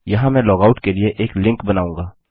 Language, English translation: Hindi, Here Ill create a link to log out